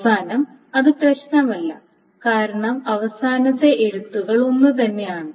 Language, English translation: Malayalam, And in the end it doesn't matter because the final rights are the same